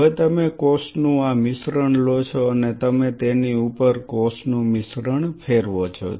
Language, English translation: Gujarati, Now, what you do you take this mixture of cell and you roll the mixture of cell on top of it